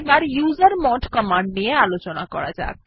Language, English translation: Bengali, Let us learn about the usermod command